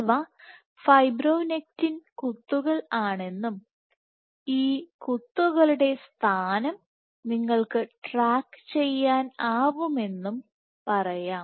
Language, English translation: Malayalam, So, let us say these are fibronectin dots and you are tracking the position of these dots